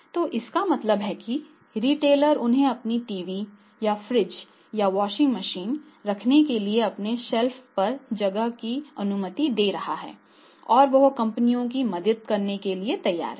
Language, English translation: Hindi, So, it means simply then the retailer is allowing them the space on the on his shelf to keep their TV or their fridge or there a washing machine and he is ready to help the companies that much is good enough for this type of the companies